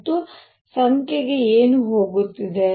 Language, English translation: Kannada, And what is going to the number